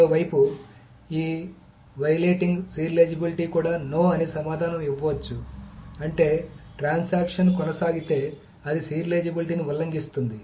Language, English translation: Telugu, On the other hand, this violating serializability may also answer no, which means that if the transaction proceeds, then it will violate the serializability